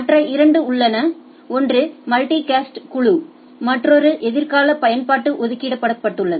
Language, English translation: Tamil, There are two other one is for multicast group another is a reserved for future use right